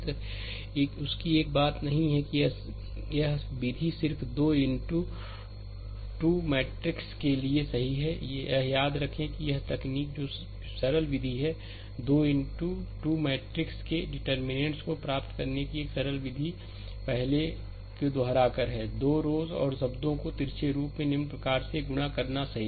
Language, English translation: Hindi, So, another thing is that this method just true for 3 into 3 matrix, remember this is this is what technique is there that is simple method, a simple method for obtaining the determinant of a 3 into 3 matrix is by repeating the first 2 rows and multiplying the terms diagonally as follows, right